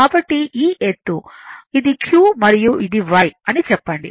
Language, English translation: Telugu, So, this high it is the q and say this is y